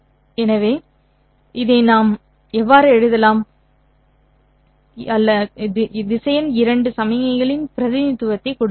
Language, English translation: Tamil, So, this is how we can write down, you know, or we can give a representation of vector to signal